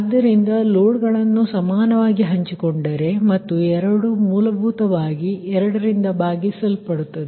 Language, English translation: Kannada, so if and if loads are shared equally, then both will be that essentially divided by two